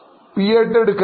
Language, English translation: Malayalam, Will you take P